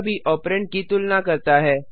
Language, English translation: Hindi, This too compares the operands